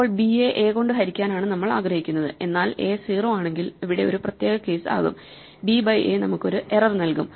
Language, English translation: Malayalam, And then depending, so we want to divide b by a, but if a is 0, then we have a special case b by a will give us an error